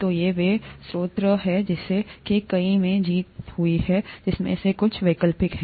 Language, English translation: Hindi, So these are sources, many of which are required, and some of which are optional